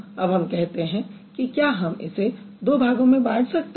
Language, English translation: Hindi, Let's see whether we can break it into two different parts